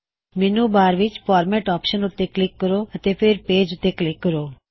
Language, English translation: Punjabi, Click on the Format option in the menu bar and then click on Page